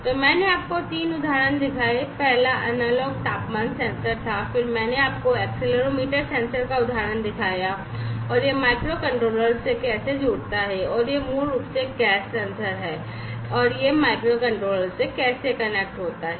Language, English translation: Hindi, So, I have shown you 3 examples; the first one was the analog temperature sensor then I have shown you the example of the accelerometer sensor, and how it connects to the microcontroller and this one is basically a gas sensor, and how it connects to the microcontroller